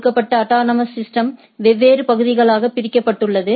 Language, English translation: Tamil, Given a autonomous systems, it is divided into different areas